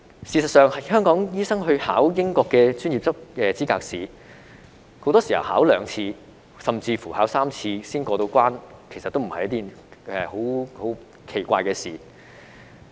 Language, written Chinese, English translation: Cantonese, 事實上，香港醫生應考英國的專業資格試，很多時考兩次甚至3次才過關，也不是奇怪的事情。, In fact for Hong Kong doctors taking the Licensing Examination in the United Kingdom it is not unusual for a candidate to get a pass by taking the examination for two or even three times